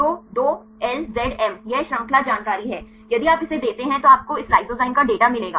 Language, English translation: Hindi, So, 2LZM; this is the chain information if you give this one you will get this the data for this lysozyme